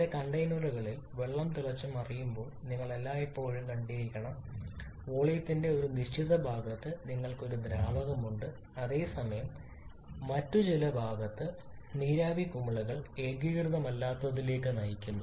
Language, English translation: Malayalam, But you must have always seen when water boils in some container you have a liquid in certain portion of the volume whereas vapor bubbles in certain other portions leading to an non homogeneity